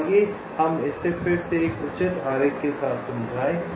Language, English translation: Hindi, so lets lets explain this again with a proper diagram